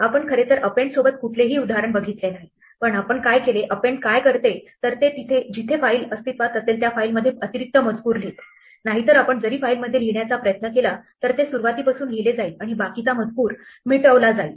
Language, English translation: Marathi, We did not actually do an example with the append, but we do append what it will do, keep writing beyond where the file already existed, otherwise write will erase the file and start from the beginning